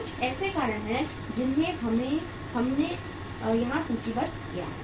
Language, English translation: Hindi, There are certain reasons we have listed out here